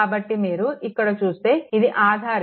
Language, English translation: Telugu, So, if you come to this, it is a dependent source right